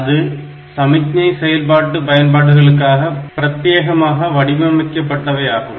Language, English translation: Tamil, So, that is dedicated for signal processing application